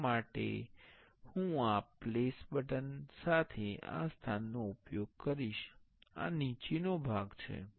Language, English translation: Gujarati, For that I will use this place with this place button, this is the bottom part